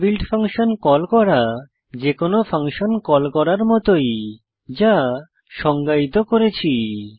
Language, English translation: Bengali, Calling inbuilt functions, similar to calling any other function, which we define